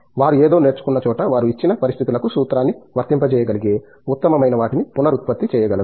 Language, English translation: Telugu, Where they learn something, they are able to reproduce something they are at best able to apply a formula to a given situation